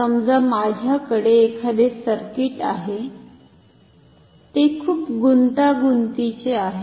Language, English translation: Marathi, Now, suppose if I can have a circuit which can be very complicated